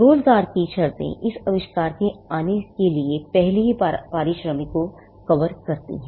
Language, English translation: Hindi, The terms of employment have already covered the remuneration for coming up this invention